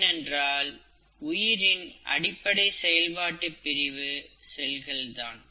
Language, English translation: Tamil, Because cell is the fundamental functional unit of life